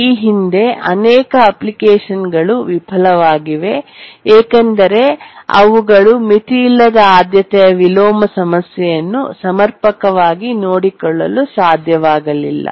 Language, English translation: Kannada, Many applications in the past have failed because they could not take care of the unbounded priority inversion problem adequately